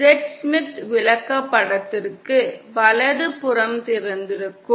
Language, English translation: Tamil, For the Z Smith chart, the right hand side is open